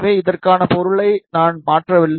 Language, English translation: Tamil, So, I did not change the material for this